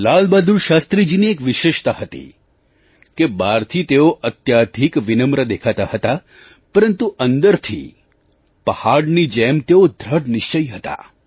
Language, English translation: Gujarati, LalBahadurShastriji had a unique quality in that, he was very humble outwardly but he was rock solid from inside